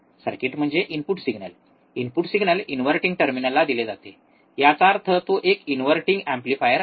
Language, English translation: Marathi, The circuit is that the input signal, the input signal is given to inverting terminal right; that means, it is an inverting amplifier